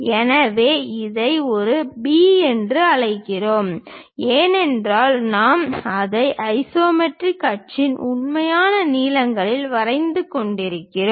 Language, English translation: Tamil, So, call this one A B because we are drawing it on isometric axis true lengths we will see